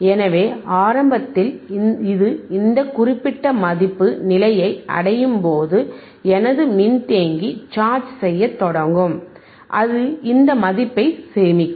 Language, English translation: Tamil, sSo initially, when it reaches to this particular value, right my capacitor will start charging and it will store this value